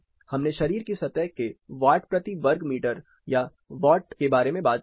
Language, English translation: Hindi, We talked about watt or watts per meter square of body surface